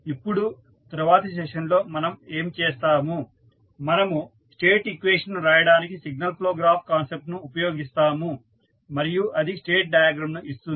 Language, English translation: Telugu, Now, in the next session what we will do, we will use the signal flow graph concept to extend in the modelling of the state equation and the results which we will use in the state diagrams